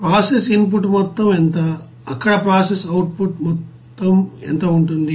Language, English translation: Telugu, And what will be the amount of process input, what will be the amount of process output there